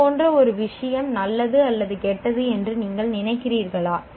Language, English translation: Tamil, Do you think such and such a thing is good or bad thing